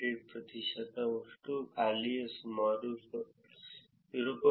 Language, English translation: Kannada, 8 percent, and empty is about 0